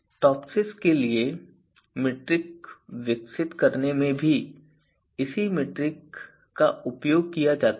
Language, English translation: Hindi, The same metric is also used in in in developing the metric for TOPSIS